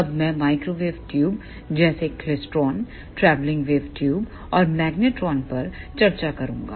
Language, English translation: Hindi, Then I will discuss microwave tubes such as klystron, travelling wave tubes and magnetrons